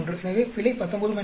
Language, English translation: Tamil, So, the error is 19 minus 3 is 16